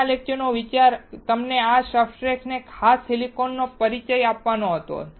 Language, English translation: Gujarati, The idea of today's lecture was to introduce you with these substrates and in particular with silicon